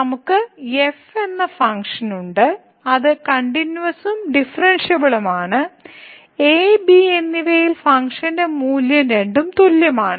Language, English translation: Malayalam, So, we have a function which is continuous and differentiable and the function value at and both are equal